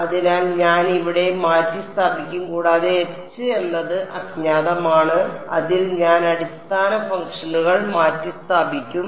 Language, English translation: Malayalam, So, I will just substituted over there and H is the unknown which in which I will replace the basis functions